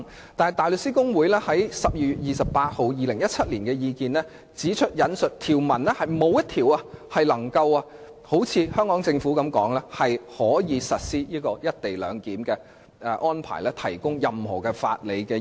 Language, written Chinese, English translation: Cantonese, 然而，大律師公會在2017年12月28日發表的意見中指出，沒有一項條文能夠如香港政府所說，為實施"一地兩檢"的安排提供法理基礎。, However as pointed out by the Bar Association in its statement issued on 28 December 2017 none of the provisions could provide a legal basis for the implementation of the co - location arrangement as claimed by the Hong Kong Government